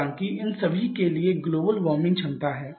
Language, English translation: Hindi, However global warming potential is there for all of them